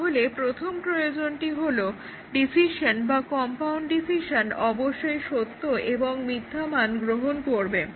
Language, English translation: Bengali, So, the first requirement is that the decision or the compound condition must take true and false value